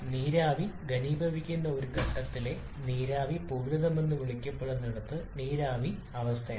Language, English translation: Malayalam, Where the vapor at a point where vapor is about to condense is referred to as saturated is vapour state